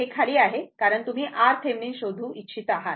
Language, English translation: Marathi, This is under because, this you want to find out R Thevenin